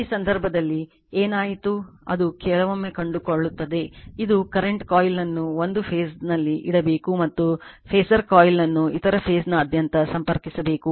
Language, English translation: Kannada, In this case what happened , that your ,, sometimes you will finds sometime you will find this is, that current coil should be put in one phase and phasor coil should be connected across other phase right